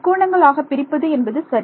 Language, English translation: Tamil, Break into triangles so right